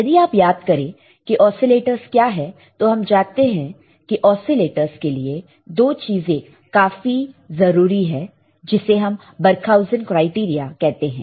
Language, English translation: Hindi, So, if you if you recall what are the oscillators, we know that oscillators required two things which is called Barkhausen criteria